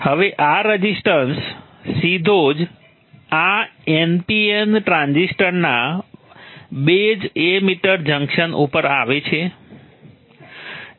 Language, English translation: Gujarati, Now this resistance coming directly across the base emitter junction of this NPN transistor